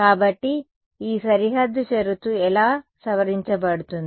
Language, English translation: Telugu, So, how will this boundary condition get modified